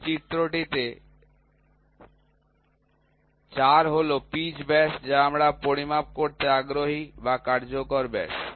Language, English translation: Bengali, In this diagram the 4 is the pitch diameter, which we are interested to measure or the effective diameter